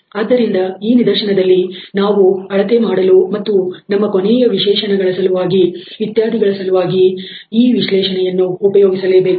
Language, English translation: Kannada, So, in this case we will have to use that analysis for our final specifications and measurement etcetera